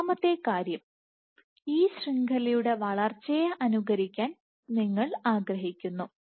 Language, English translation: Malayalam, So, second thing is, you want to simulate the growth of this network right